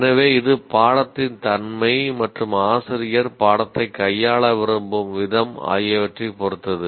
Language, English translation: Tamil, So it depends on the nature of the course and the way the faculty member wants to handle the course